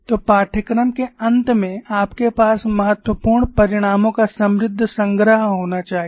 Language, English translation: Hindi, So, at the end of the course you should have rich collection of important results